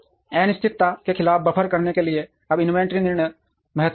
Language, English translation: Hindi, Now inventory decisions are important to buffer against uncertainty